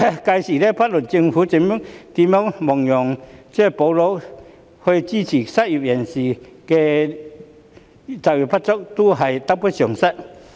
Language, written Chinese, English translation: Cantonese, 屆時，不論政府如何亡羊補牢以支援失業及就業不足人士，仍會得不償失。, By then no matter how the Government mends the fold to support the unemployed and underemployed the loss will still outweigh the gain